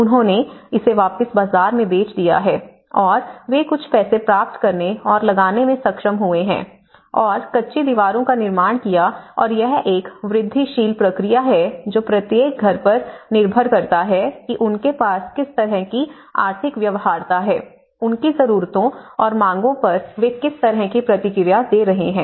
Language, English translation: Hindi, So, they have given it back and they sold it in the market and they could able to get some money and they could able to put some more money and built the adobe walls and so this whole process you know, itís all showing up an incremental process depending on each household what kind of economic feasibility they had, what kind of infill they are responding to their needs and demands